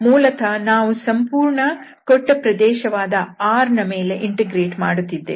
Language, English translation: Kannada, So, basically we are integrating over the whole given region R so that is a result